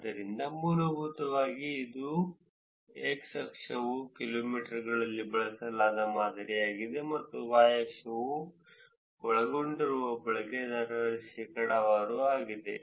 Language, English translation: Kannada, So, essentially this is x axis is the model that was used within the kilometers and y axis is the percentage of users that were covered